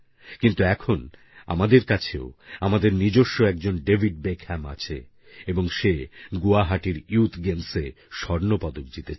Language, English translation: Bengali, But now we also have a David Beckham amidst us and he has won a gold medal at the Youth Games in Guwahati